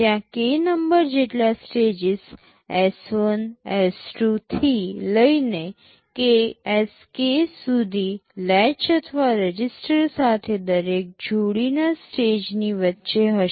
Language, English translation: Gujarati, There are k numbers of stages S1, S2 up to Sk with a latch or register in between every pair of stages